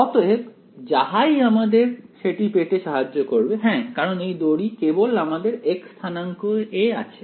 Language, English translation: Bengali, So, whatever helps us to achieve that, well yeah because this string is in the x coordinates only right